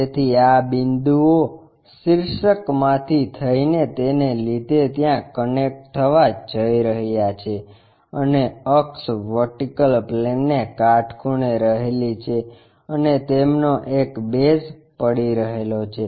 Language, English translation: Gujarati, So, having apex all these points are going to connected there and axis perpendicular to vertical plane and one of the base is resting